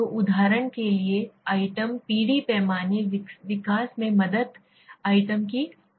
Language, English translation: Hindi, So items generation for examples steps in scale development the number of items